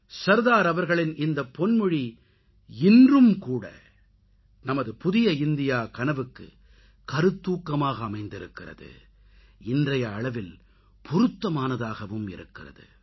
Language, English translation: Tamil, These lofty ideals of Sardar Sahab are relevant to and inspiring for our vision for a New India, even today